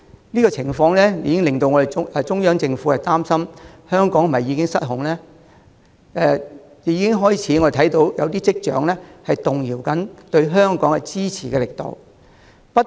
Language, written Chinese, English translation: Cantonese, 這個情況已令中央政府擔心香港是否已經失控。我們亦已開始看到一些跡象，顯示中央政府對香港的支持正在動搖。, This situation has made the Central Government concerned about whether Hong Kong has gone out of control and we have begun to see some signs that the Central Government is wavering in its support for Hong Kong